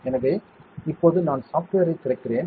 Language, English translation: Tamil, So, now I am opening the software